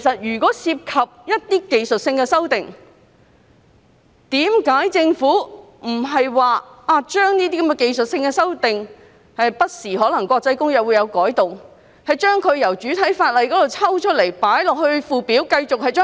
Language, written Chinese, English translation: Cantonese, 如果涉及技術性改動，為何政府不把該等技術性改動——國際公約不時作出的改動——從主體法例中抽出來，以附表形式處理呢？, If technical revisions are involved why should the Government refuse to separate such technical revisions―revisions made to the international convention concerned from time to time―from the principal legislation and deal with them by way of a Schedule?